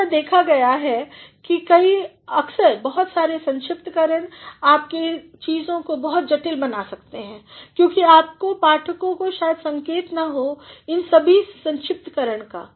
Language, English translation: Hindi, It has seen that at times many abbreviations can make your things very complicated, because your readers may not be having the clue of all those abbreviations